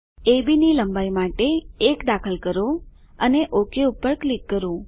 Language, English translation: Gujarati, Lets Enter 1 for length of AB and click OK